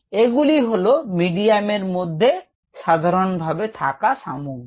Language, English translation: Bengali, so this is what a medium in general contains